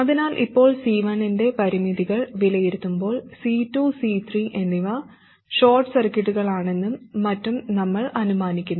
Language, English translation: Malayalam, So now while evaluating the constraint for C1, we assume that C2 and C3 are short circuits, and so on